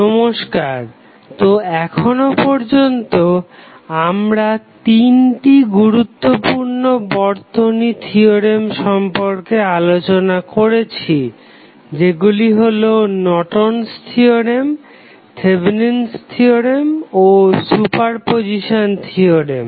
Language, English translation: Bengali, So, till now, we have discussed 3 important circuit theorems those were Norton's theorem, Thevenin's theorem and superposition theorem